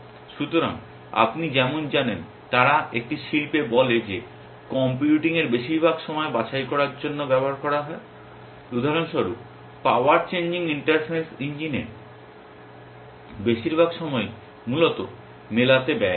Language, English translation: Bengali, So, just like you know they say in an industry that most of the time of computing is spent in sorting for example, most of the time in power changing inference engine is spent in matching essentially